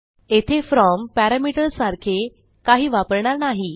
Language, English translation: Marathi, We wont use something like a from parameter here